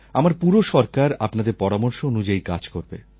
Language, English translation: Bengali, The entire government will work on your suggestions